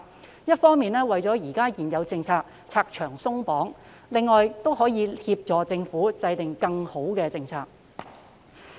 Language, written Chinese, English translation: Cantonese, 這樣一方面可為現有政策拆牆鬆綁，另一方面亦可協助政府制訂更好的政策。, In so doing we can remove the obstacles for existing policies on the one hand and on the other hand assist the Government in formulating better policies